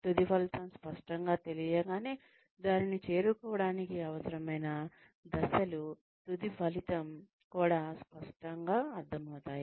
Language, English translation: Telugu, Once the end result is clear, then the steps, that are required to reach that, end result also become clear